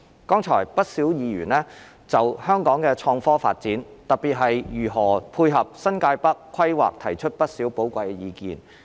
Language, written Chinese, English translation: Cantonese, 剛才不少議員就香港的創科發展，特別是如何配合新界北規劃，提出了不少寶貴意見。, Just now quite a number of Members presented many valuable views on the development of innovation and technology IT in Hong Kong especially how it can dovetail with the planning of New Territories North